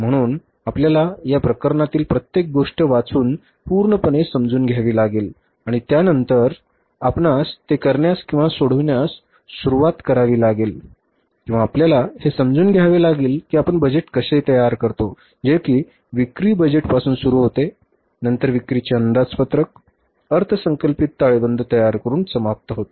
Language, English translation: Marathi, So, you have to read each and everything, understand this case fully and after that you will have to start doing it or solving it or understanding that how we prepare the budgets, starting with the sales budget, sales forecasting budget and ending up with the budgeted balance sheet